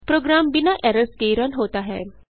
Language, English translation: Hindi, Program runs without errors